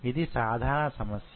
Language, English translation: Telugu, This is a common problem